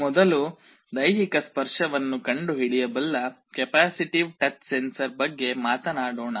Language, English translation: Kannada, First let us talk about capacitive touch sensor that can detect physical touch